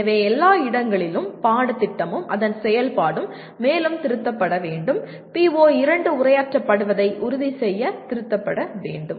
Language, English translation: Tamil, So at all places the curricula and its implementation should be revised further, revised to make sure that the PO2 is addressed